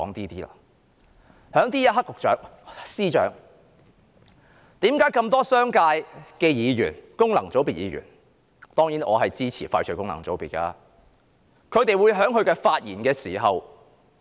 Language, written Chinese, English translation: Cantonese, 在這一刻，司長，為何從這麼多商界議員及功能界別議員——當然，我支持廢除功能界別——的發言，我們明顯看到他們的憂慮？, At this juncture let me ask the Financial Secretary this Why is it that from the speeches of so many Members from the business sector and functional constituencies FC―of course I support the abolition of FCs―we can clearly tell that they are worried?